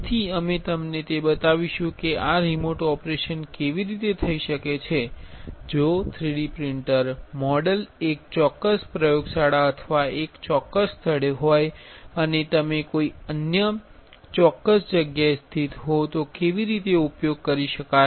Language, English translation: Gujarati, So, we will be showing it to you how this remote operation can be done, how can use if the 3D printer model is in one particular lab or one particular place and you are located in some other particular place, ok